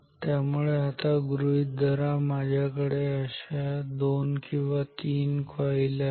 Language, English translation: Marathi, So, now consider, I have say two or three coils which are like this